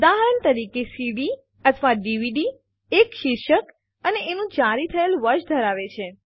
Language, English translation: Gujarati, A CD or a DVD can have a title and a publish year for example